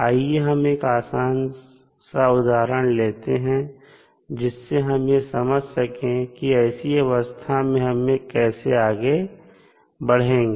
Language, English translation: Hindi, Let us take one simple example, so that you can understand how we can proceed for this kind of condition